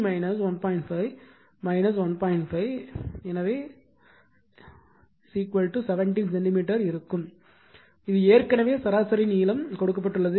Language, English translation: Tamil, 5 that is equal to 17 centimeter right and this is already mean length is given